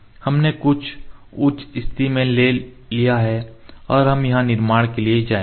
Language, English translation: Hindi, We have taken in to some high position and we will go to construction here